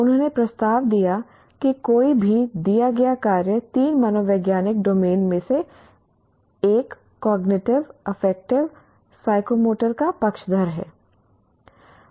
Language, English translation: Hindi, He proposed that any given task favors one of the three psychological domains, cognitive, affective, psychomotor